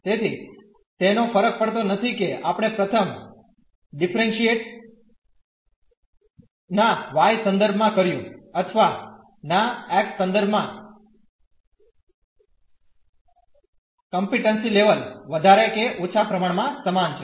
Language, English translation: Gujarati, So, it will not matter whether we first differentiate with respect to y or with respect to x the complicacy level would be more or less the same